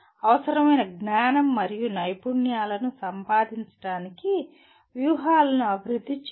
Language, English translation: Telugu, Develop strategies to acquire the required knowledge and skills